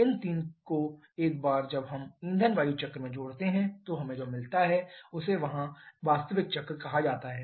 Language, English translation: Hindi, These three, once we add to the fuel air cycle then what we get that is called the actual cycle here